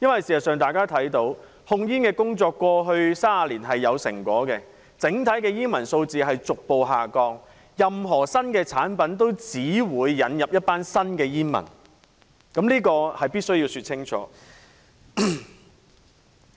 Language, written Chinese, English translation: Cantonese, 事實上，大家都看到控煙工作在過去30年是有成果的，整體煙民數字逐步下降，任何新產品都只會引來一群新的煙民，這是必需要說清楚的。, As a matter of fact in the last 30 years the tobacco control measures yielded positive results and the smoking population showed a gradual decline . However I must make it clear that new products will always attract new smokers